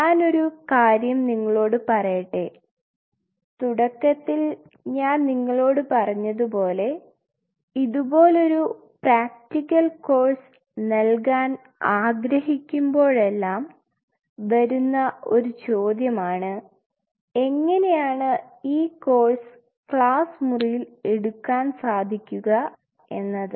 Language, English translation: Malayalam, Let me tell you one aspect as I told you in the beginning like whenever you wanted to offer a course like this is the question always come this is a practical course, how you can teach a course like that in the classroom